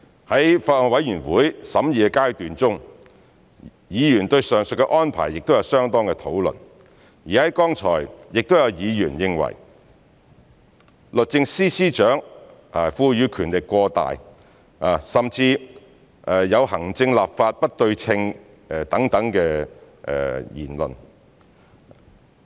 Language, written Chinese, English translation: Cantonese, 在法案委員會審議的階段中，議員對上述安排有相當的討論，剛才亦有議員認為律政司司長獲賦予權力過大，甚至有行政、立法不對稱等言論。, During the deliberation of the Bills Committee Members had considerable discussions on the above arrangements . Just now some Members remarked that SJ has been given too much power and there is disproportionate treatment between the executive authorities and the legislature